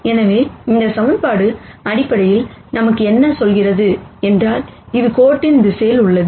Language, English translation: Tamil, So, what this equation basically tells us is that this is in the direction of the line